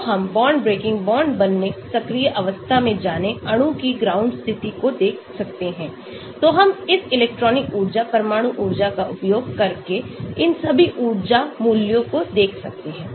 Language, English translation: Hindi, so we can look at the bond breaking, bond forming, moving to activated state, ground state of molecules, so we can look at all these energy values using this electronic energy, nuclear energy